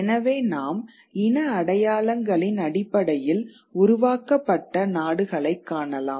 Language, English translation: Tamil, So, you could have nations which are created on the basis of ethnic identities